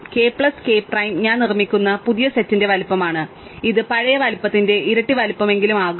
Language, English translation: Malayalam, K plus k prime is the size of the new set I construct and it is going to be at least twice the size of the old size